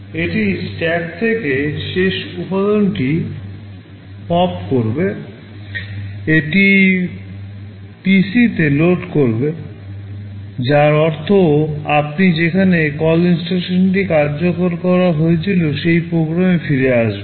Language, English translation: Bengali, It will pop the last element from the stack, it will load it into PC, which means you return back to the program from where the call instruction was executed